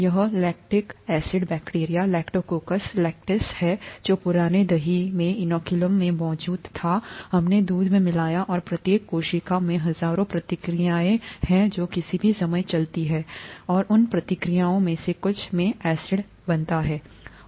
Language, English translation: Hindi, This lactic acid bacteria Lactococcus lactis is what was present in the inoculum, the old curd that we added to the milk and each cell has thousands of reactions that go on at any given time, and from some of those reactions, acid comes